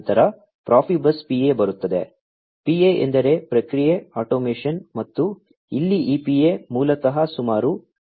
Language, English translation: Kannada, Then, comes the Profibus PA; PA stands for Process Automation and here this PA basically supports a speed of about 31